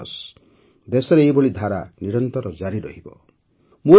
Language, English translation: Odia, I am sure that such trends will continue throughout the country